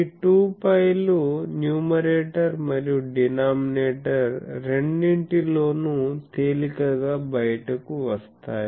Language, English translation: Telugu, So, these 2 pi comes out readily both in the numerator and denominator